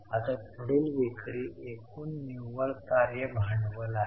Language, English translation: Marathi, Now the next is net working capital to total sales